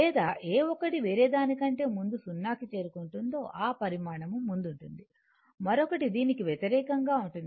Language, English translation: Telugu, Or which one is reaching to 0 before the other one that quality leading or vice versa, right